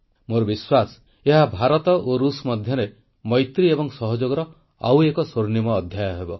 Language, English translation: Odia, I am confident that this would script another golden chapter in IndiaRussia friendship and cooperation